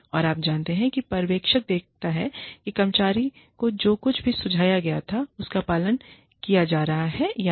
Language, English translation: Hindi, And, you know, the supervisor sees whether, whatever was suggested to the employee, is being followed or not